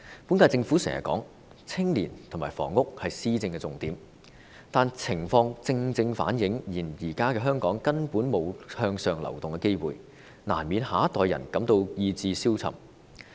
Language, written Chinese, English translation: Cantonese, 本屆政府經常說青年和房屋是施政的重點，但情況正正反映現在的香港根本沒有向上流動的機會，難免讓下一代人感到意志消沉。, The current term Government has often said that young people and housing are the key areas of policy administration but the situation has precisely reflected that there is basically no chance for upward mobility in Hong Kong making it inevitable for the next generation to feel demoralized